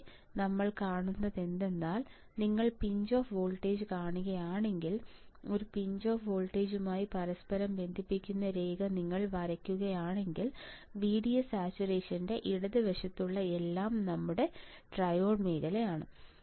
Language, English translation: Malayalam, Here what we see here what we see is that if you see the pinch off voltage, if the and if you draw line which interconnects a pinch off voltage back to here, everything on the left side of the VDS saturation is your triode region is your triode region ok